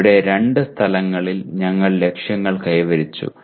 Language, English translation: Malayalam, Here you have in two places we have attained the targets